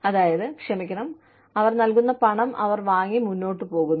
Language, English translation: Malayalam, I mean, sorry, they take the money, that is given to them, and they move on